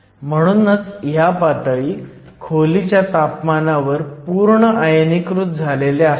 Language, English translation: Marathi, This is why these levels are usually fully ionized at room temperature